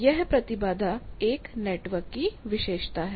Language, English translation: Hindi, This impedance characterizes a network